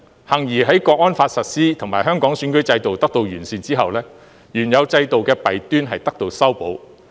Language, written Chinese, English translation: Cantonese, 幸而在《香港國安法》實施及香港選舉制度得到完善後，原有制度的弊端得到修補。, Fortunately with the implementation of the National Security Law and the improvement of the electoral system in Hong Kong the flaws in the original system have been remedied